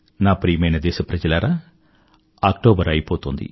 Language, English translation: Telugu, My dear countrymen, October is about to end